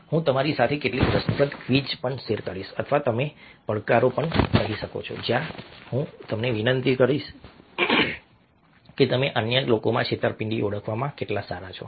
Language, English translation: Gujarati, i will also share with you certain interesting quizzes, or even you might even see even challenges where i will request you to see how good you are at identifying disseat in other people